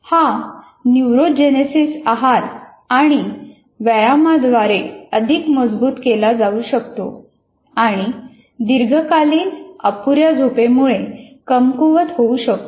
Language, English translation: Marathi, This neurogenesis can be strengthened by diet and exercise and weakened by prolonged sleep loss